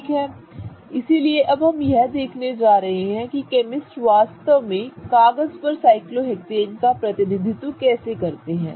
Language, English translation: Hindi, Okay, so now we are going to locate how chemists actually represent cyclohexanes on paper